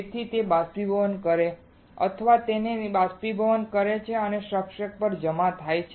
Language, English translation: Gujarati, So, that it vaporizes or it evaporates it and gets deposited on the substrate